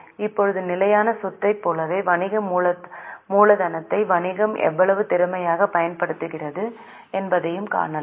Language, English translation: Tamil, Now just like fixed assets, we can also see how efficiently business is using working capital